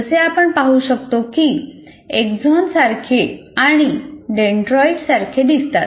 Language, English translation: Marathi, As you can see, it also looks like the axon and the dendrites kind of thing